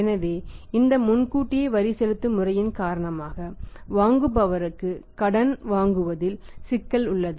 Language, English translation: Tamil, So, because of this advance tax payment system there comes a problem in extending the credit to the buyers